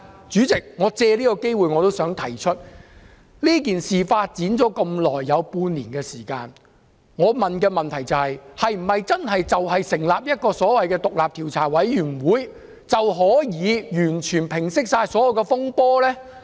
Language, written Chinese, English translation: Cantonese, 主席，我想藉此機會提出，事件發展至今半年，經歷這麼長的時間，成立所謂的獨立調查委員會，是否真的可以完全平息所有風波？, President I would like to take this opportunity to point out Can the disturbances that lasted for half a year since the outset of the incident be subsided by establishing the so - called independent commission of inquiry?